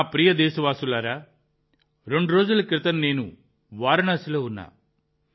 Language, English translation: Telugu, My dear countrymen, two days ago I was in Varanasi and there I saw a wonderful photo exhibition